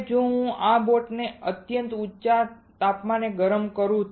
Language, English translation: Gujarati, Now, if I heat this boat at extremely high temperature right